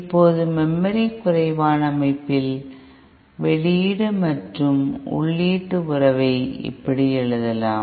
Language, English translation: Tamil, Now in a memory less system, the output and input relationship can be written like this